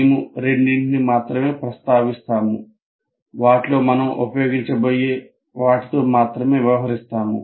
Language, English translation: Telugu, We will only mention two out of which we'll only deal with one which we are going to use